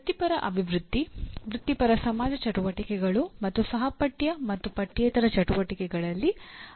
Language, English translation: Kannada, Participate in professional development, professional society activities and co curricular and extra curricular activities